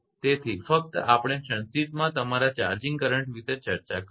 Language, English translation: Gujarati, So, just brief we will be discuss like your charging current right